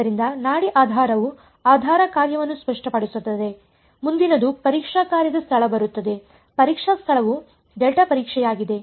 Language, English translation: Kannada, So, the pulse basis the basis function is done clear next comes the location of the testing function, the testing point is a delta testing